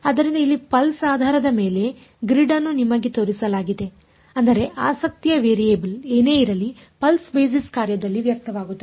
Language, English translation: Kannada, So, having shown you the grid over here pulse basis means whatever is the variable of interest is expressed in the pulse basis function